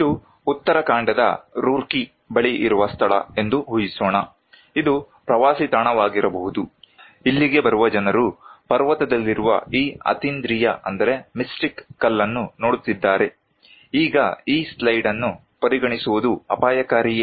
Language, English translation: Kannada, Let us imagine that this is a place near Roorkee in Uttarakhand; it could be a tourist spot, people coming here watching this mystic stone in a mountain well now, considering this slide is it risky